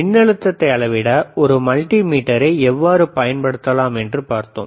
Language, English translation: Tamil, We have seen how we can use a multimeter to measure several components